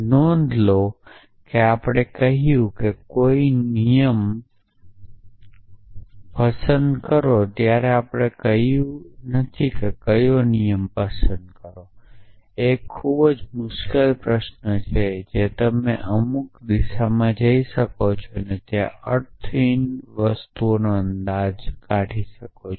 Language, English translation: Gujarati, So, notice that we have said pick a rule we have not said which rule that of course, is a very tricky question you can go off in some direction and infer meaningless things